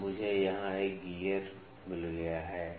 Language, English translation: Hindi, Now, I have got a gear here